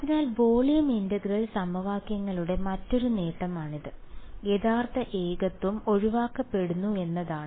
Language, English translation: Malayalam, So, that is one more advantage of volume integral equations is that your avoiding that the real singularity is being avoided